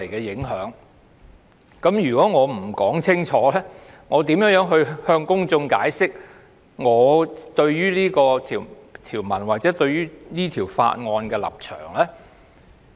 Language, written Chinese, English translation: Cantonese, 如果我不解釋清楚，怎能令公眾明白我對《條例草案》或這項修正案的立場？, If I do not explain clearly how can I make the public understand my stance on the Bill or this amendment?